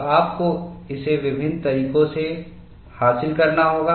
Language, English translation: Hindi, So, you have to achieve this by various means